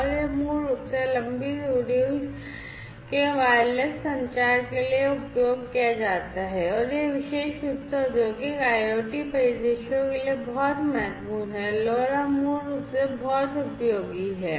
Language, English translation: Hindi, And it is used basically for long range wireless communication and that is very important particularly for Industrial IoT scenarios, LoRa basically is very useful